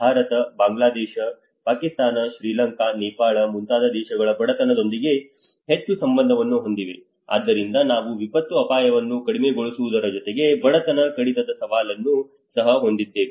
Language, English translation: Kannada, Countries like India which are more to do with the poverty because India, Bangladesh, Pakistan, Sri Lanka, Nepal so we have along with the disaster risk reduction we also have a challenge of the poverty reduction